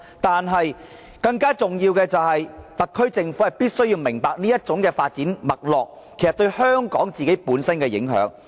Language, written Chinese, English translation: Cantonese, 但是，更重要的是，特區政府必須明白這種發展脈絡對香港本身的影響。, But then the more important thing is that the SAR Government must be very clear about the impact which Hong Kong will sustain because of such a development trend